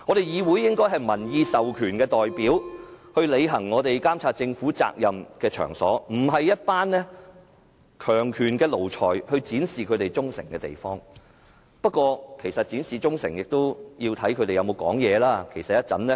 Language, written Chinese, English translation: Cantonese, 議會應該是民意代表履行監察政府責任的場所，而不是一班服從強權的奴才展示忠誠的地方，不過是否要展示忠誠，也要取決於建制派議員有否發言。, This legislature should be a place for elected representatives to discharge their responsibility of monitoring the performance of the Government instead of a forum for a group of flunkeys who kneel down before the authoritarian government to show loyalty . Yet pro - establishment Members should still rise to speak if they wish to show their loyalty